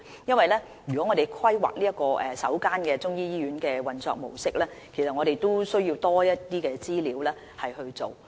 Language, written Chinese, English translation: Cantonese, 當我們要規劃首間中醫醫院的運作模式時，我們是需要更多的資料。, When we plan the operating model of the first Chinese medicine hospital we will need more information